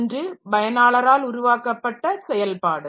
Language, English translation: Tamil, One is the process that is developed by the user